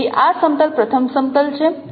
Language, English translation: Gujarati, So this is a first plane